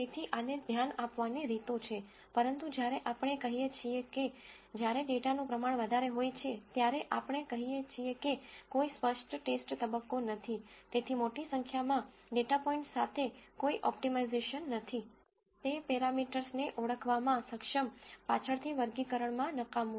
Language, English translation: Gujarati, So, there are ways to address this, but when we say, when the amount of data is large, all that we are saying is since there is no explicit training phase, there is no optimization with a large number of data points, to be able to identify parameters that are useless at later in classification